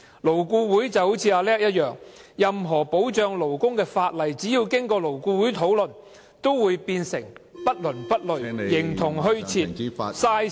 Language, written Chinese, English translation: Cantonese, "勞顧會就好像"阿叻"一樣，任何保障勞工的法例，只要經過勞顧會討論，都會變成不倫不類......形同虛設，浪費時間。, LAB is just like Natalis; any labour protection legislation discussed by LAB will become neither fish nor fowl serving no purpose and a waste of time